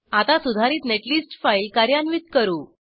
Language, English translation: Marathi, Now we execute the modified netlist file